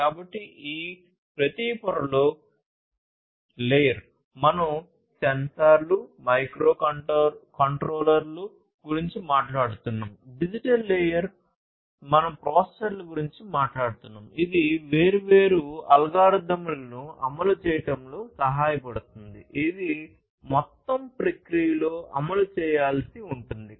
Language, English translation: Telugu, So, in each of these layers; so physical layer we are talking about sensors, microcontrollers; digital layer we are talking about processors, which can help in execution of these different algorithms the in the processes overall the functionalities, that will have to be implemented